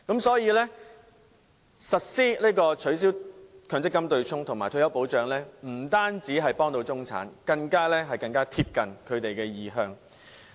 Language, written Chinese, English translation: Cantonese, 所以，實施取消強積金對沖及設立退休保障可以幫助中產，更貼近他們的意向。, Hence implementation of the initiatives of abolishing the MPF offsetting mechanism and putting in place a retirement protection system will be of help to the middle class and is closer to what they prefer